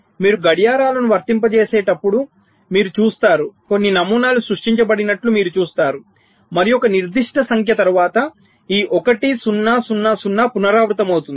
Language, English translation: Telugu, you see, as you go and applying clocks, you will see some patterns have been generated and after certain number, this one, zero, zero, zero is repeating